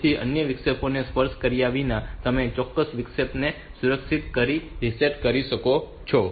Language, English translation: Gujarati, So, without touching other interrupt so you can do safe reset in the particular interrupt